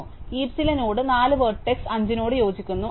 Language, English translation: Malayalam, So, it says, that the node 4 in the heap corresponds to vertex 5